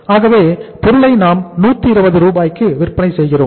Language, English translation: Tamil, So we are selling the product at 120 Rs